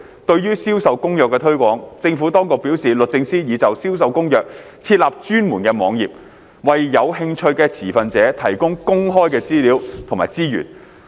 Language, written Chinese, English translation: Cantonese, 對於《銷售公約》的推廣，政府當局表示律政司已就《銷售公約》設立專門網頁，為有興趣的持份者提供公開的資料和資源。, On the promotion of CISG the Administration advised that the Department of Justice had set up a dedicated website about CISG to provide open access to information and resources for interested stakeholders